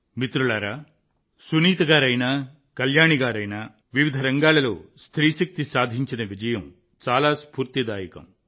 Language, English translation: Telugu, Friends, whether it is Sunita ji or Kalyani ji, the success of woman power in myriad fields is very inspiring